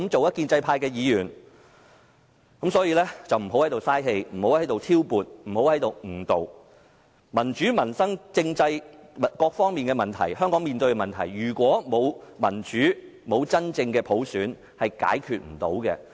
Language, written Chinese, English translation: Cantonese, 因此，不要在此浪費氣力來挑撥及誤導，香港面對民主、民生、政制等各方面的問題，如果沒有民主及真正的普選，是無法解決的。, Hence do not waste your energy to sow dissension and to mislead the public . Hong Kong is facing problems in various aspects like democracy peoples livelihood and constitutional system and they cannot be resolved without democracy and genuine universal suffrage